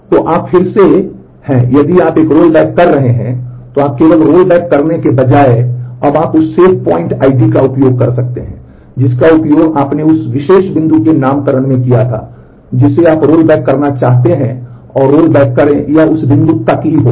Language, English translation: Hindi, So, you are again if you are doing a rollback, then you instead of just doing rollback, you now use the save point ID that you had used in naming that particular point up to which you want to roll back and, do a rollback and that will happen only up to that point